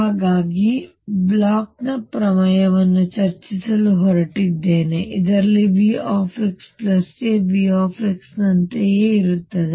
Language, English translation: Kannada, So, I am going to now discuss something called Bloch’s theorem in which case V x plus a is the same as V x